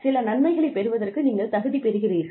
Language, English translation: Tamil, You become eligible, for getting some benefits